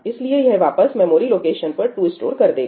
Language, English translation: Hindi, So, it is going to store 2 back to the memory location